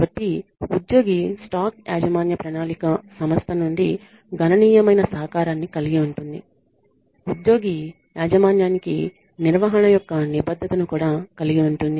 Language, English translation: Telugu, So, employee stock ownership plan involves a significant contribution from the organization to the plan it also includes a commitment of management to the employee ownership